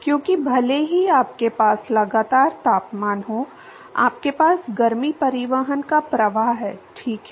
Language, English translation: Hindi, Because even if you have constant temperature, the you have a flux of heat transport, right